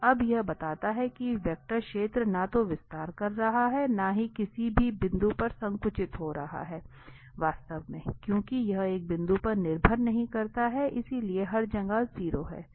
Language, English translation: Hindi, So now what this tells that the, the vector field is neither expanding and not contracting at any point, actually, because this does not depend on a point so it is a 0 everywhere